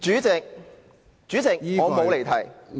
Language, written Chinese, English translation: Cantonese, 主席，我沒有離題。, President I have not digressed